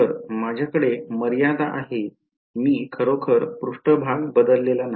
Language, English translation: Marathi, So, I have in the limit I have not really change the surface